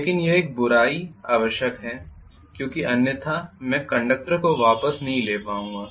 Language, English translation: Hindi, But it is a necessary evil because otherwise I will not be able to get the conductor back